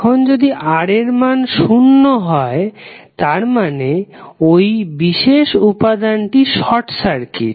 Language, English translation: Bengali, Now, if resistance value is R is zero it means that, that particular element is short circuit